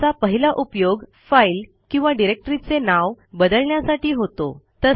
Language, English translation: Marathi, It is used for rename a file or directory